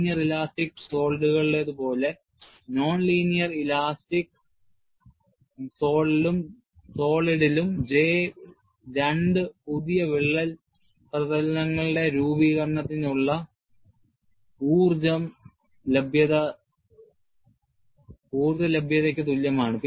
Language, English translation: Malayalam, Like in linear elastic solids, in non linear elastic solid, the J is same as the energy availability for the formation of two new crack surfaces